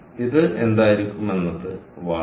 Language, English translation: Malayalam, what is this is going to be watts, clear